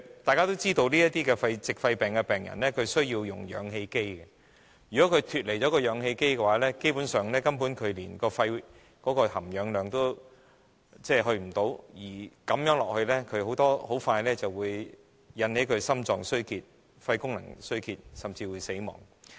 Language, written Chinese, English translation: Cantonese, 大家也知道，這些矽肺病的病人需要使用氧氣機，如果脫離氧氣機，基本上，他們的肺部含氧量不足，如此下去，很快便會引發心臟及肺功能衰竭，甚至會死亡。, As we all know these pneumoconiosis patients need to use oxygen concentrators . If they are detached from oxygen concentrators basically they will not have enough oxygen content in the lungs . After some time this will trigger heart failure and lung failure and will lead to death